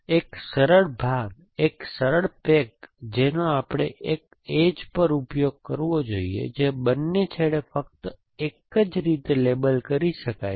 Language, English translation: Gujarati, The one simple piece, the one simple pack we should exploit is at one edge can be labeled only in one way at both the end